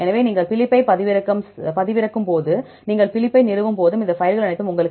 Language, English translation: Tamil, So, that is the when you download Phylip and when you install Phylip, you will get all these files